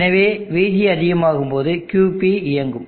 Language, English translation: Tamil, So when VG goes high, QP will turn on